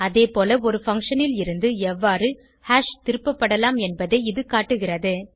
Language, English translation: Tamil, Similarly, this demonstrates how hash can be returned from a function